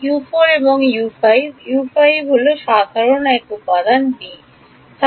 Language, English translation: Bengali, U 4 and U 5; U 5 is the common one element b